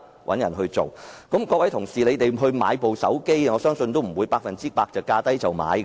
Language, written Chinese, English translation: Cantonese, 我相信各位同事購買手提電話也不會百分之百是價低便購買的，對嗎？, It is in this way that people are found to do jobs . I believe that when Honourable colleagues buy mobile phones they would not simply go for the ones with the lowest prices would they?